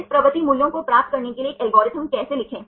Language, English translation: Hindi, How to write an algorithm to get this propensity values